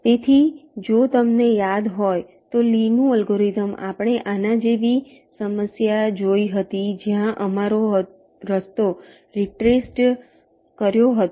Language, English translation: Gujarati, so, lees algorithm: if you recall, we looked at a problem like this where our path was retraced